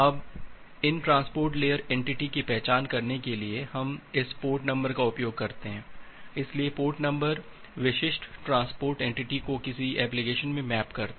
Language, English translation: Hindi, Now, to identify these transport layer entity we use this port number, so the port number uniquely maps this transport entity to a particular application